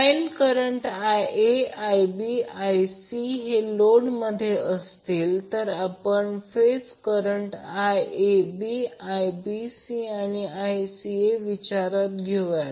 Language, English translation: Marathi, So if the line current is Ia, Ib, Ic in the load we consider phase current as Iab, Ibc and Ica